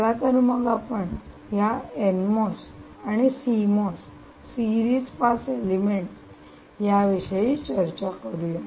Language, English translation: Marathi, see, this one is being an n mos series pass element